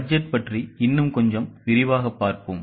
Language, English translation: Tamil, Let us talk a little more about budget